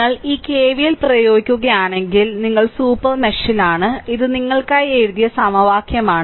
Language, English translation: Malayalam, So, if you apply this KVL, so your in the super mesh, so this is the equation I wrote for you right